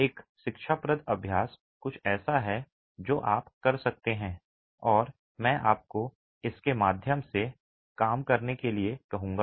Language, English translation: Hindi, An instructive exercise is something that you can do and I will ask you to work through this